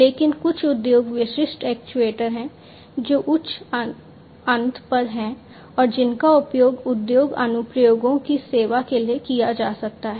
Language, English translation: Hindi, But there are some industry specific actuators that are at the higher end and could be used to serve industry applications